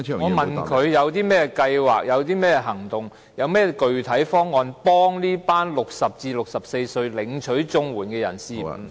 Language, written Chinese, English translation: Cantonese, 我問他有何計劃、行動及具體方案幫助這群60歲至64歲領取綜援的人士......, I asked him what plans actions and concrete proposals are available to help these CSSA recipients aged between 60 and 64